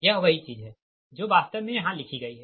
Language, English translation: Hindi, right, this is the same thing actually written here